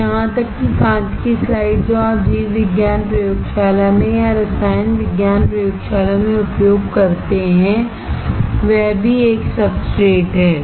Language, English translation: Hindi, So, even the glass slide that you use in the biology lab or in a chemistry lab is also a substrate